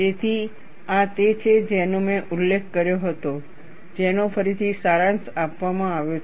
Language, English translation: Gujarati, So, this is what I had mentioned, which is summarized again